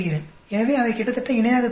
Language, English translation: Tamil, So they look almost parallel